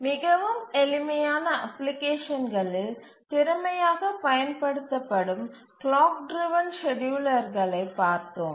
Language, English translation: Tamil, So, so far we had looked at the clock driven schedulers which are efficient used in very simple applications